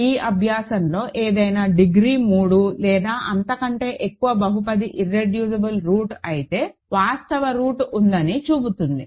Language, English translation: Telugu, In this exercise will show that, any degree 3 or higher polynomial which is irreducible has a root, has a real root